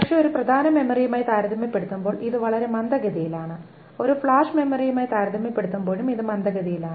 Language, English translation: Malayalam, It is of course non volatile but it is quite slow compared to a main memory and it is slower compared to a flash memory as well